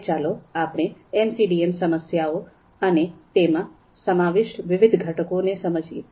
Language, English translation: Gujarati, Now, let’s understand the MCDM problems and the various components that it comprises of